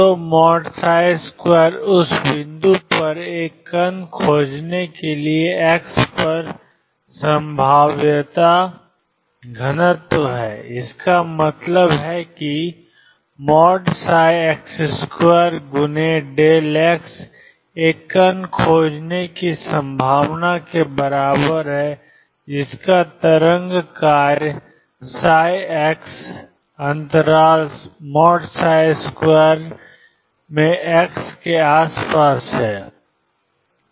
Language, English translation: Hindi, So, psi x mod square is probability density at x for finding a particle at that point what does that mean this means that mod psi x square delta x is equal to probability of finding a particle whose wave function is psi x in the interval delta x around x